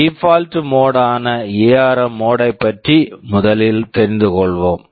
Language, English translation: Tamil, We first talk about the ARM mode of execution which is the default mode